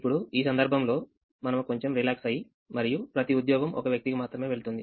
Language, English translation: Telugu, in this case, we will relax it a little bit and say that each job will go to only one person